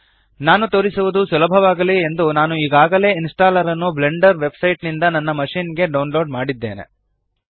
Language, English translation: Kannada, For ease of demonstration, I have already downloaded the installer from the Blender website onto my machine